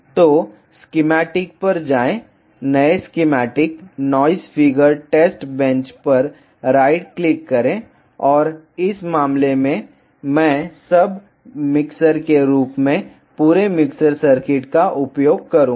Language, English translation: Hindi, So, go to schematic, right click new schematic, noise figure test bench and in this case I will use the entire mixer circuit as a sub circuit